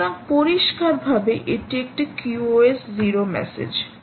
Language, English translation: Bengali, so clearly this is a q o s zero message